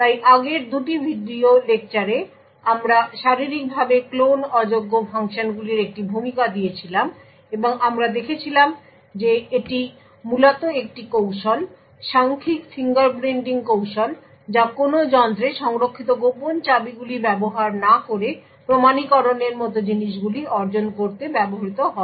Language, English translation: Bengali, So in the previous 2 video lectures we had an introduction to physically unclonable functions and we had seen that it is a essentially a technique digital fingerprinting technique that is used to achieve things like authentication without using secret keys stored in a device